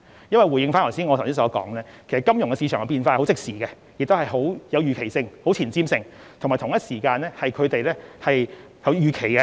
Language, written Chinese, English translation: Cantonese, 因為正如我剛才所說，金融市場的變化相當即時，而且極具預期性和前瞻性，當中有相當多的預期。, As I have mentioned just now changes in the financial market are instant and they are also very anticipatory and forward - looking involving a lot of predictions